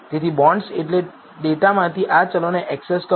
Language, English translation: Gujarati, So, access these variables from the bonds data